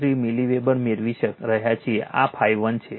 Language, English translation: Gujarati, 453 milliweber, this is your phi 1 right